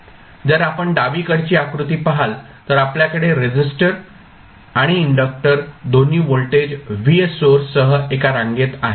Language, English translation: Marathi, Now, if you see the figure on the left you have 1 r resistance and inductor both are in series with voltage source vf